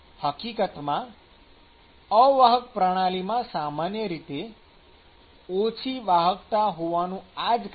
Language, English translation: Gujarati, And in fact, this is the reason why the insulation systems typically have low conductivities